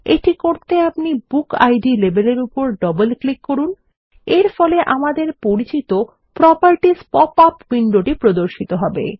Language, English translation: Bengali, We can do this, by double clicking on BookId label, which opens up the now familiar Properties window